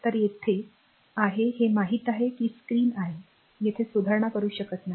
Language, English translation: Marathi, So, here it is a it is you know it is a screen, we cannot make a correction here